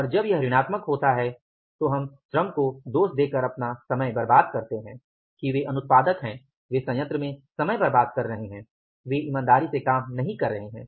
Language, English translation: Hindi, When the variance is negative then we may start blaming the labor that they are non productive they are wasting time on the plant and they are not sincerely working